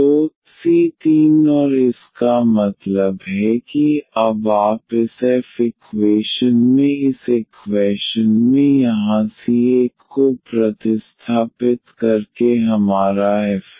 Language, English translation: Hindi, So, c 3 and that means, now this is you our f by substituting the c 1 here in this equation in this f equation here